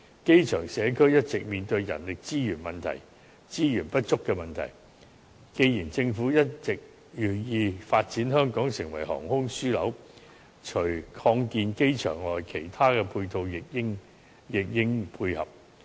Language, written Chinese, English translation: Cantonese, 機場社區一直面對人力資源不足的問題，既然政府一直銳意發展香港成為航空樞紐，除擴建機場外，其他配套亦應配合。, The community at the airport has been facing the problem of insufficient manpower . As the Government has all along been keen on developing Hong Kong into an aviation hub so apart from expansion the airport should be complemented by other ancillary facilities